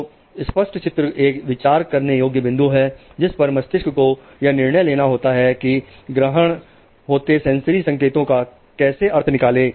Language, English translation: Hindi, So ambiguous figures are a point in which brain has to take a decision about how to interpret sensory input